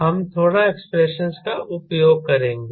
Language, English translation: Hindi, we use a little bit of expressions